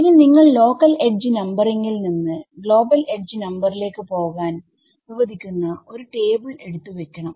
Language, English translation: Malayalam, So, we also have to keep a table which allows me to go from a local edge to a global edge numbering